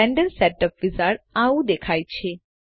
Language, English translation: Gujarati, So this is what the Blender Setup Wizard looks like